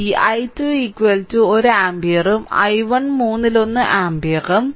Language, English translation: Malayalam, So, this i 2 is equal to 1 ampere and i 1 is equal to one third ampere